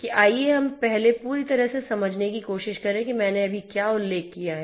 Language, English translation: Hindi, So, having said that let us first try to understand as a whole, what I have just mentioned